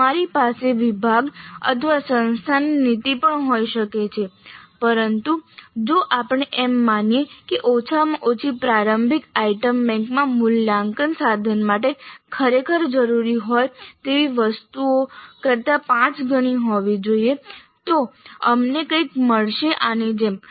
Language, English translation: Gujarati, We might be having a policy of the department or the institute also but in a representative fashion if we assume that at least the initial item bank should have five times the number of items which are really required for the assessment instrument, we would get something like this